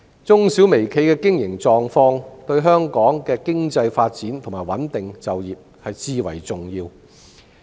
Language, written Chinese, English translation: Cantonese, 中小微企的經營狀況，對香港的經濟發展和穩定就業至為重要。, The operation condition of MSMEs is of utmost importance to the economic development and employment stability of Hong Kong